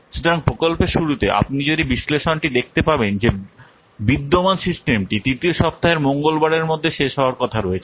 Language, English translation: Bengali, So at the start of the project if you will see the analyze existing system is scheduled to be completed by the Tuesday of UG 3